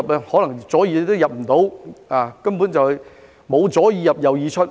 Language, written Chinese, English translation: Cantonese, 可能左耳也進不了，根本沒有"左耳入，右耳出"。, With him it was always in one ear and it was probably not even in one ear not in one ear and out the other